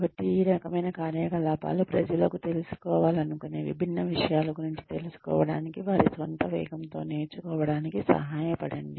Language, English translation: Telugu, So, these kinds of initiatives, help people, who want to know, learn about different things, learn at their own pace